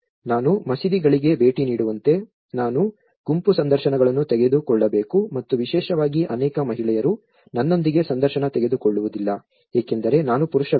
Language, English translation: Kannada, Like I have to visit in the mosques, I have to take the group interviews and especially, with gender many of the women doesn’t open up to me because I am a male person